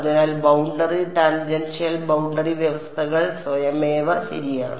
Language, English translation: Malayalam, So, boundary tangential boundary conditions automatically satisfied ok